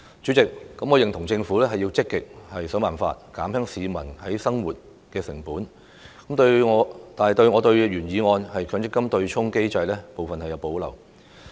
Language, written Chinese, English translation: Cantonese, 主席，我認同政府須積極設法減輕市民的生活成本，但對原議案有關強制性公積金對沖機制的部分有所保留。, President I agree that the Government should actively look into ways to reduce the cost of living of the people but I have reservations about the part on the offsetting mechanism of the Mandatory Provident Fund MPF in the original motion